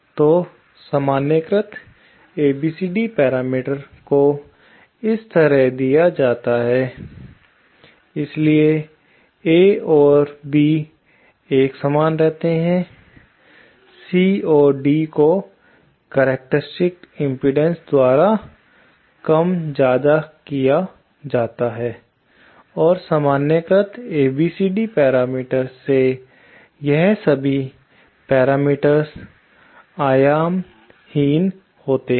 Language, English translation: Hindi, So, normalised ABCD parameters are given like this, so A and B remain the same, C and D are scaled by the characteristic impedances and all these parameters in the normalised ABCD parameters are dimensionless